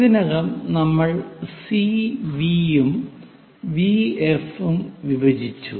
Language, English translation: Malayalam, So, already we have made some division like CV and VF